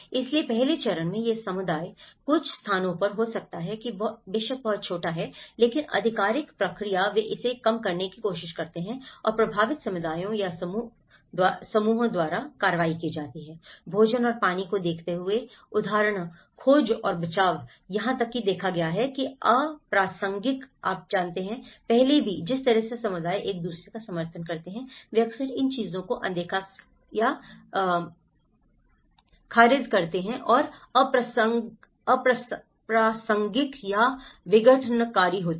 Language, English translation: Hindi, So, in the earlier stage this community could be some places it is very small but the official processes they try to undervalue this and actions by the affected communities or groups examples, search and rescue, given out food and water have been even been viewed as irrelevant you know, so even, the way the community support each other they often tend to ignore or trash these things and irrelevant or disruptive